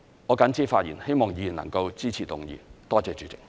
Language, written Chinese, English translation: Cantonese, 我謹此發言，希望議員能夠支持議案。, With these remarks I hope Members will support the motion